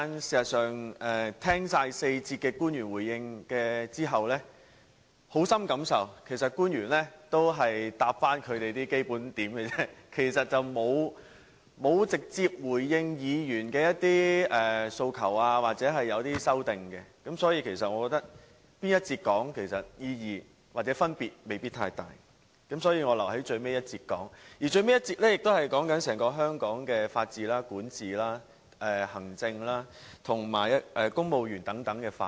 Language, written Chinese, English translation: Cantonese, 事實上，聽畢官員對4節發言的回應後，我深刻感受到官員只提供基本答覆而已，並沒有直接回應議員的訴求或修正案。所以，我覺得在哪節發言，未必有太大意義或分別，故此我留待最後一節才發言，而最後一節辯論是有關整個香港的法治、管治、行政及公務員等範圍。, In fact after listening to the public officers remarks in the four sessions I feel strongly that they provided just a basic reply without responding directly to Members demands or amendments so there may not be a huge significance or difference in which session I speak therefore I have left my speech to the last debate session which is on Hong Kongs rule of law governance administration civil servants and so on